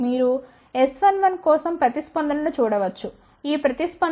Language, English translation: Telugu, You can see the response for S 1 1